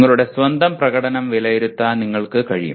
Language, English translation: Malayalam, You are able to judge your own performance